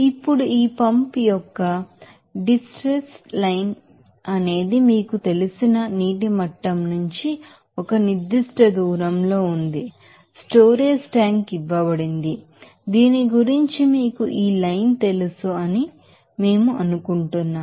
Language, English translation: Telugu, Now, in this case that the distress line of this pump is a certain distance from that you know water level of that you know storage tank it is given it is 10 meter you know that about this you know this line